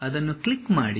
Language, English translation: Kannada, Click one of them